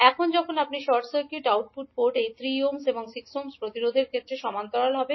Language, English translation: Bengali, Now when you short circuit the output port these 3 ohm and 6 ohm resistance will now be in parallel